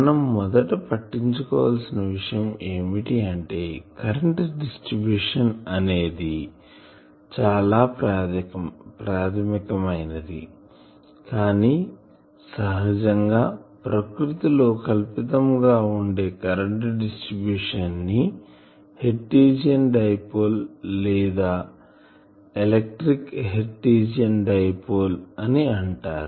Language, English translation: Telugu, First we will consider a current distribution which is very fundamental, but which is very fictitious in nature that is called Hertzian Dipole or electric Hertzian Dipole